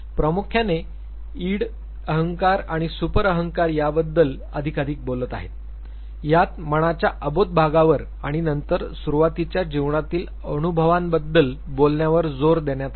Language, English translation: Marathi, Primarily talking more and more about the Id, ego and the super ego; the emphasis was on the unconscious part of the mind and then talking about the early life experiences